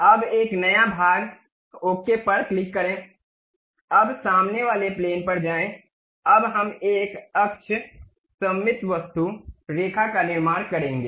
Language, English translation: Hindi, Now, a new one, click part ok, now go to front plane, now we will construct a axis symmetric object, line